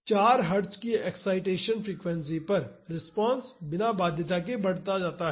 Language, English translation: Hindi, At an excitation frequency of 4 Hertz, the response tends to increase without bound